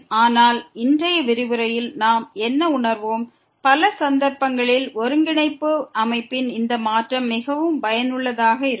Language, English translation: Tamil, But what we will realize in today’s lecture that this change of coordinate system in many cases is very helpful